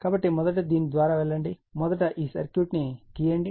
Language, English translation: Telugu, So, first when you will go through this first to draw this circuit, right then will see